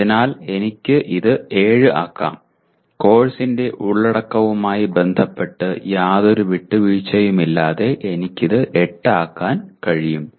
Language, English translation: Malayalam, So I can make it 7, I can make it 8 without any compromise with respect to the content of the course